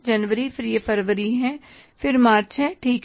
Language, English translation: Hindi, Then it is February and then it is March